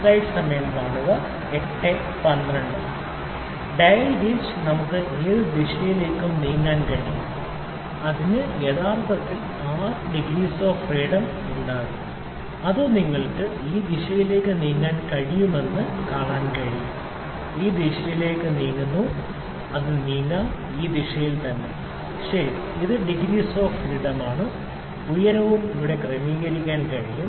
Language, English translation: Malayalam, In which dial gauge dial gauge can have any kind of we can move in any direction, it will has actually the 6 degrees of freedom, it can you see it can move with this direction, it can move in this direction, it can also move in this direction yes, ok, this is one more degrees of degree of freedom that is height can also be adjusted here